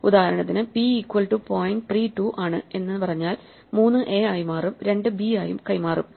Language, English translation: Malayalam, For instance, if we say p is equal to point 3, 2; then 3 will be passed as a, and 2 will be passed as b